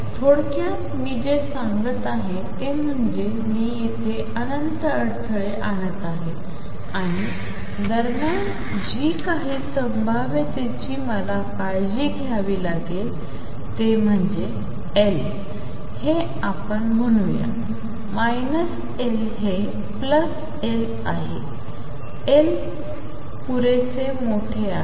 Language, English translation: Marathi, In essence what I am saying is I am putting infinite barrier here and whatever the potential does in between what I have to be careful about is that L, this is let us say minus L this is plus L, L is large enough